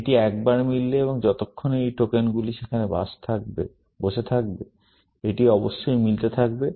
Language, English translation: Bengali, Once it is matching, and as long as these tokens are sitting there, it will continue to match, essentially